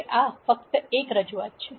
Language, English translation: Gujarati, Now, this is just one representation